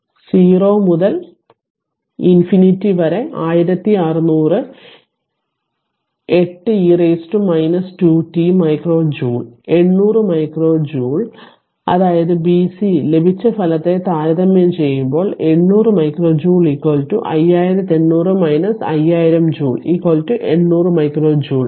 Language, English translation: Malayalam, Therefore 0 to infinity 1600 it is 10 to the power minus 2 t micro joule 800 micro joule right; that means, comparing the result obtained in b and c shows, 800 micro joule is equal to 5800 minus 5000 joule is equal to 800 micro joule